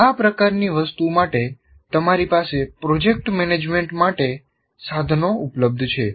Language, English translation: Gujarati, For this kind of thing, you have tools available for project management